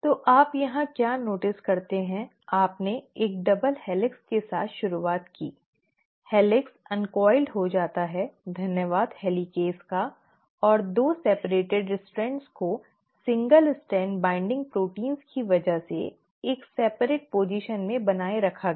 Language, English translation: Hindi, So what do you notice here is, you started with a double helix, the helix got uncoiled, thanks to the helicase and the 2 separated strands were maintained in a separate position because of the single strand binding proteins